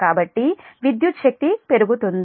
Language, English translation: Telugu, so electrical power increases